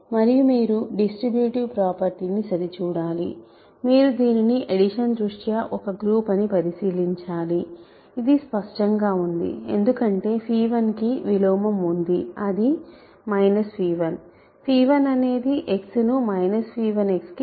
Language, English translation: Telugu, And, you have to check distributive property, you have to check that under addition it is a multi it is a group that is clear because, phi 1 has an inverse right minus phi 1 phi, minus phi 1 sends x 2 minus phi x minus phi phi 1 of x